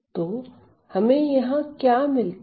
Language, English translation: Hindi, So, what have we got here